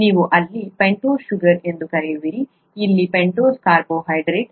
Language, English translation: Kannada, You have what is called a pentose sugar here, a pentose carbohydrate here